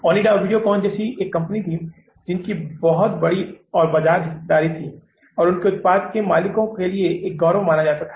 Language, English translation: Hindi, There are the companies like Onida, Videocon, who had a very larger market share and their product was considered as a pride to the owner